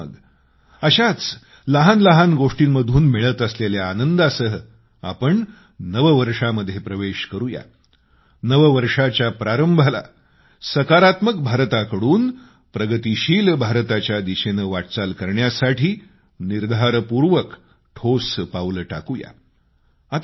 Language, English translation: Marathi, Let us enter into the New Year with such little achievements, begin our New Year and take concrete steps in the journey from 'Positive India' to 'Progressive India'